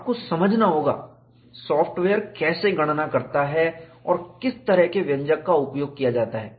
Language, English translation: Hindi, You will have to understand, how the software calculates, what is the kind of expression that is used; it is very very important